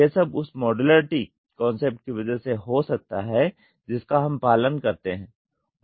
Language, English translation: Hindi, This all can happen because of the modularity concept which we follow